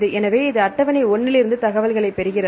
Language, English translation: Tamil, So, this is you get the information from table 1